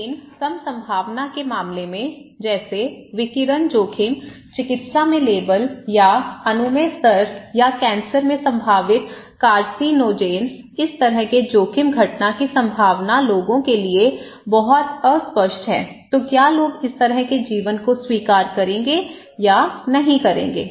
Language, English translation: Hindi, But in case of low probability okay, like radiation exposure, labels in medicine or permissible level or possible carcinogens in cancer, these kind of low probability event of risk is very unclear to the people so, what people will do the life, how they will consider it as an accepted or not accepted